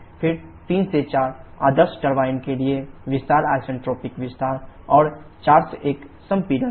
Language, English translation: Hindi, Then 3 4 is expansion isentropic expansion for ideal turbine and 4 1 is the compression